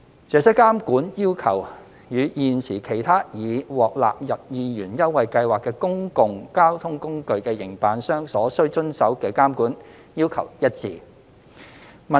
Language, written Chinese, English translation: Cantonese, 這些監管要求與現時其他已獲納入二元優惠計劃的公共交通工具的營辦商所須遵守的監管要求一致。, Such monitoring conditions are in line with those imposed on the operators of other public transport modes included in the 2 Scheme